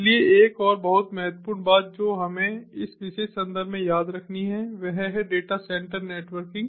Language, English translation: Hindi, so another very important thing that we have to remember in this particular context is the data center networking